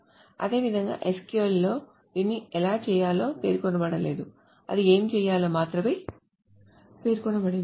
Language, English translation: Telugu, Similarly in SQL, it is not specified how to do it